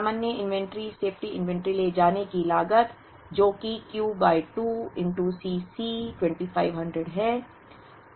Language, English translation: Hindi, The normal inventory safety inventory carrying cost which is Q by 2 into C c is 2500